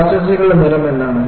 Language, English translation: Malayalam, What is the color of molasses